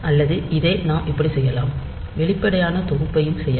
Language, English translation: Tamil, Or we can do it like this we can do it explicit set and this set